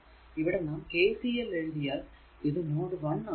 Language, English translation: Malayalam, So, first what you do we apply KCL at node 1